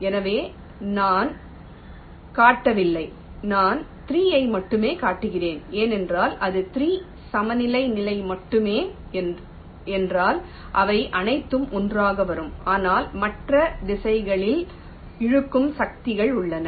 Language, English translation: Tamil, so i am not showing, i am only show showing three, because if it is only three the equilibrium position, they will all come to all together, but there are other pulling force in other directions also